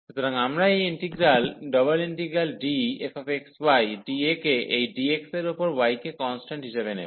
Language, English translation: Bengali, So, we take this integral f x, y dx over this dx treating this y as a constant